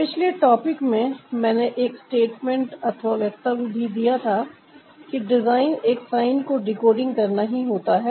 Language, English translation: Hindi, in the previous topic i made a statement that design is all about decoding a sign